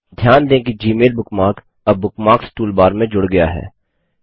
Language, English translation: Hindi, Observe that the Gmail bookmark is now added to the Bookmarks toolbar